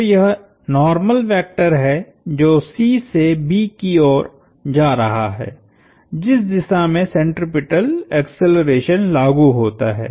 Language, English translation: Hindi, So that is the normal vector going from C towards B which is the way centripetal acceleration works